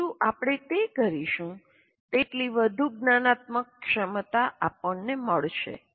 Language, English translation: Gujarati, The more we do that, the more metacognitive ability that we will get